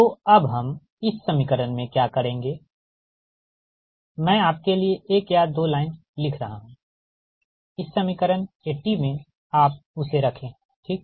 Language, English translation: Hindi, so what we will do in this equation, i am writing one or two lines for you in this equation eighty right, in equation eighty, you, you put that one right